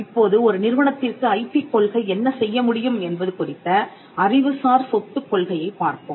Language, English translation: Tamil, Now, let us look at the intellectual property policy as to what an IP policy can do for an institution